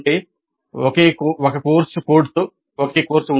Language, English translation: Telugu, That means it is a single course with a single course code